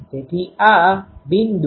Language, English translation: Gujarati, So, this is the point